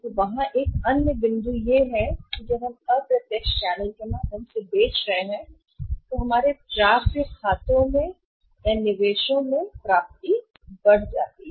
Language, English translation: Hindi, And there is another point that when we are selling through indirect channels our receivables or investment in the accounts receivables increases